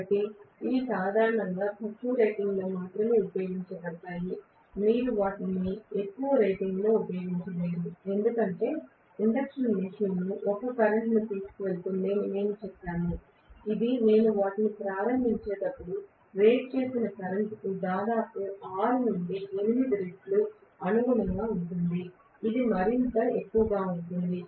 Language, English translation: Telugu, So these are generally used only at lower ratings, you cannot use them at very high ratings as it is we said induction machine is going to carry a current, which is corresponding to almost 6 to 8 times the rated current when I am starting them, this will be even more